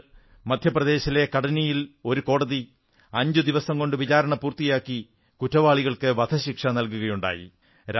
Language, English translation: Malayalam, Earlier, a court in Katni in Madhya Pradesh awarded the death sentence to the guilty after a hearing of just five days